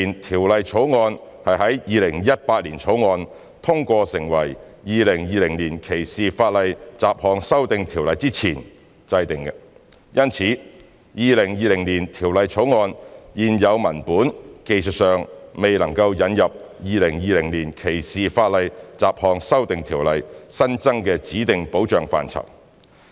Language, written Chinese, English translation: Cantonese, 《條例草案》是在《2018年條例草案》通過成為《2020年歧視法例條例》之前制定的，因此《條例草案》現有文本技術上未能引入《2020年歧視法例條例》新增的指定保障範疇。, The Bill was formulated before the passage of the 2018 Bill and its enactment as the 2020 Ordinance . Therefore it is technically impossible to incorporate the prescribed areas of protection added by the 2020 Ordinance into the current text of the Bill